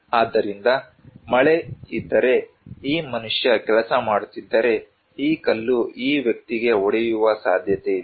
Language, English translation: Kannada, So, if there is a rain, if this human being is working, then there is a possibility that this stone will hit this person